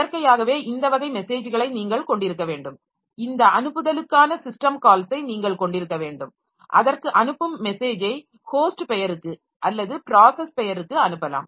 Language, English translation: Tamil, And naturally you need to have this type of messages, you should have the system call for this sent, receive message to it may be sending to a host name or to a process name